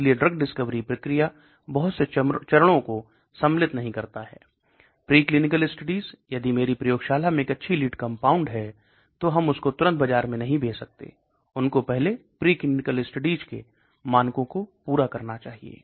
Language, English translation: Hindi, So a drug discovery process does not include many steps: preclinical studies, so I have a nice lead in my lab, so I do not introduce that immediately into the market, they need to be something called a preclinical studies